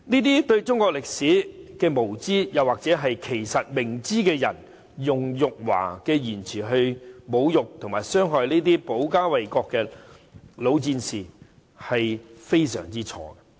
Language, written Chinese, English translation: Cantonese, 這些對中國歷史無知——又或其實明知而故犯——的人，他們用辱華的言詞來侮辱及傷害這些保家衞國的老戰士，是非常錯誤的。, These people who are ignorant of Chinese history made a big mistake in using this derogatory word for China to insult and hurt those veterans who had fought to protect our home and defend our country―actually this was perhaps an intentional mistake